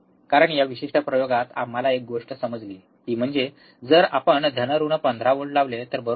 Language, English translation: Marathi, Because one thing that we understood in this particular experiment is that if we apply plus minus 15, right